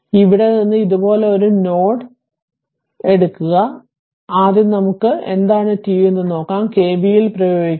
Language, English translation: Malayalam, Suppose if you take a if you take a your what you call that node like this from here, first let us see what is i t, you apply KVL